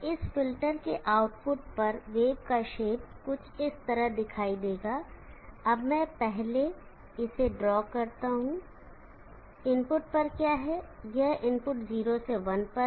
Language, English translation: Hindi, At the output of this filter, the wave shape will look something like this, now let me draw this first, what is at the input, this is at the input 0 to 1